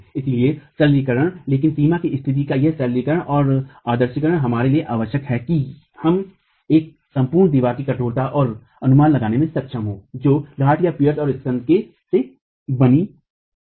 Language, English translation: Hindi, So, simplification but this simplification and idealization of the boundary condition is essential for us to be able to go and estimate the stiffness of an entire wall composed of pears and spandrels